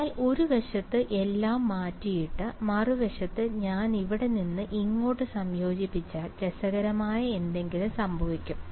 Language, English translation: Malayalam, But on the other hand erased everything, on the other hand if I integrate from here to here that is when something interesting will happen right